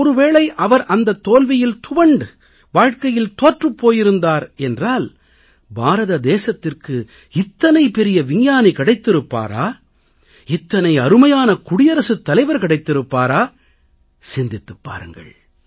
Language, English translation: Tamil, Now suppose that this failure had caused him to become dejected, to concede defeat in his life, then would India have found such a great scientist and such a glorious President